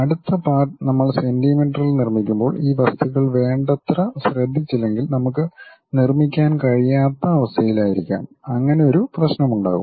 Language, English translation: Malayalam, The next part when we are constructing it in centimeters, if we are not careful enough these objects we may not be in a position to make and there will be a problem